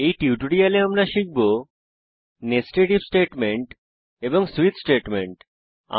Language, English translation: Bengali, In this tutorial we will learn , How to use nested if statement